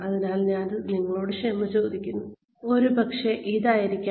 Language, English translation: Malayalam, So, I apologize to you, maybe it has to be this